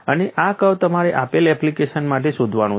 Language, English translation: Gujarati, And this curve you have to find out for a given application